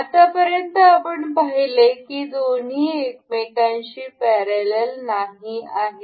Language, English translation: Marathi, As of now we can see these two are not aligned parallel to each other